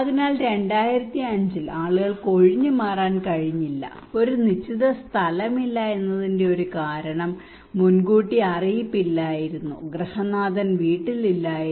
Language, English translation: Malayalam, So people could not evacuate during 2005 one reason that there was no designated place there was no early warning and the head of the household was not at house